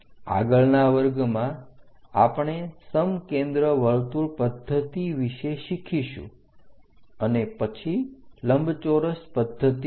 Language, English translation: Gujarati, In the next class, we will learn about concentric circle method and thereafter oblong method